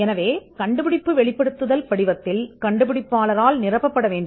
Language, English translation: Tamil, So, the invention disclosure form will have quite a lot of quite a lot of information, for the to be filled by the inventor